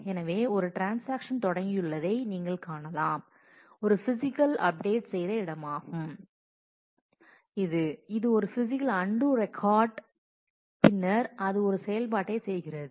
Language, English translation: Tamil, So, you can see that a transaction T 0 has started, this is where it has done a physical update, is a physical undo record and then it does an operation